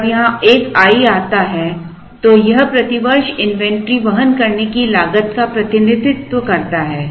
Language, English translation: Hindi, The moment there is an i here then this represents the inventory carrying cost per year